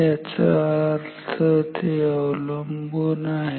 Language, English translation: Marathi, So, that means, it depends